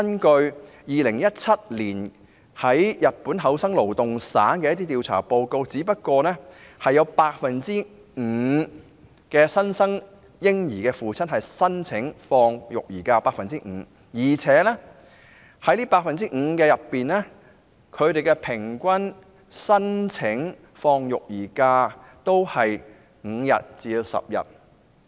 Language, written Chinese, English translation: Cantonese, 據2017年日本厚生勞動省的調查報告顯示，原來只有 5% 的新生嬰兒父親申請放取育兒假，而且這 5% 當中，他們平均申請放取的育兒假日數為5天至10天。, According to a survey conducted by the Japanese Ministry of Health Labour and Welfare in 2017 only 5 % of fathers of newborn babies applied for parental leave and among them the average number of leave taken was 5 days to 10 days